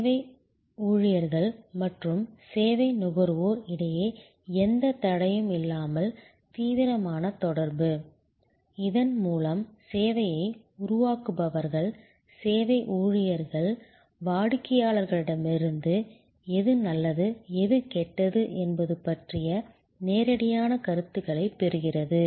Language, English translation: Tamil, Intensive communication between service employees and service consumers without any barrier, so that the service creators, the service employees get a direct feedback from the customers about, what is good and what is bad